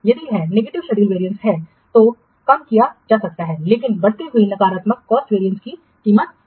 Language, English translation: Hindi, If it is negative, negative schedule variance can be reduced but at the price of increasing negative cost variance